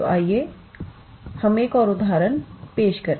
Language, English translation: Hindi, So, let us work out an another example